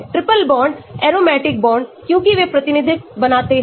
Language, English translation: Hindi, triple bonds, aromatic bonds because they form resonance